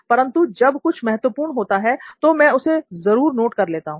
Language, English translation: Hindi, But when something is important, I do make it a point of noting it down